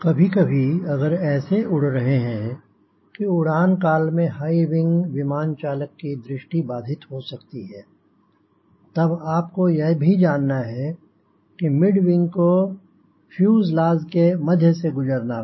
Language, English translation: Hindi, if it flying like this because the high wing, it may obstruct the visibility of the pilot, then for mid wing, you should be also aware mid wing means this wing has to pass, carry over through the fuselage